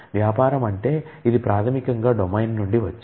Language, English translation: Telugu, Business means it is basically comes from the domain